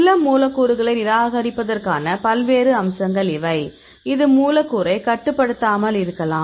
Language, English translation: Tamil, So, these are the various aspect how we rejected some molecules; which may not be regulate molecule